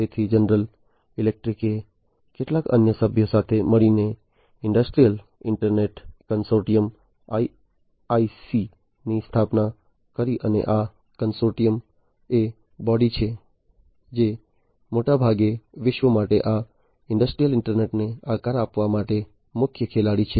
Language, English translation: Gujarati, So, General Electric along with few other members founded the industrial internet consortium IIC and this consortium is the body, which is largely the main player for shaping up this industrial internet for the future